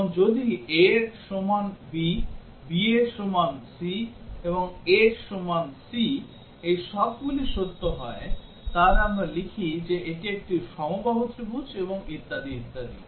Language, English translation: Bengali, And if a is equal to b, b is equal to c, and a is equal to c, all these are true, then we write that it s a equilateral triangle and so on